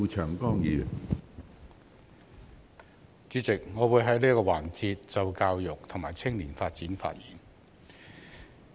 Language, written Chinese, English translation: Cantonese, 主席，我會在這個辯論環節就教育及青年發展發言。, President I will speak on education and youth development in this debate session